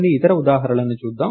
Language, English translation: Telugu, Lets look at another example